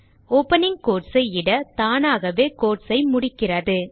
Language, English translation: Tamil, Type opening quotes and it automatically closes the quotes